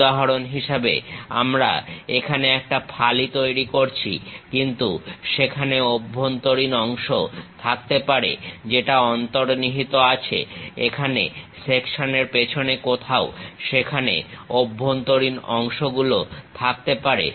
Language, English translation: Bengali, For example, we are making a slice here, but there might be internal parts which are hidden; somewhere here behind the section there might be internal parts